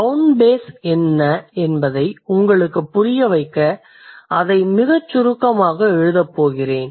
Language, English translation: Tamil, So, to make you understand what is bound base, I am going to write it very briefly